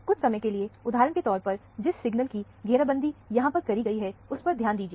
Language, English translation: Hindi, For the time being, focus on the signal that is circled here, for example